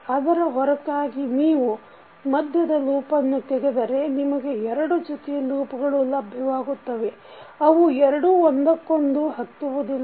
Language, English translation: Kannada, So, out of that if you remove the middle one you will get two sets of loops which are not touching to each other